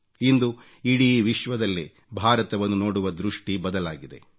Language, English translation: Kannada, Today the whole world has changed the way it looks at India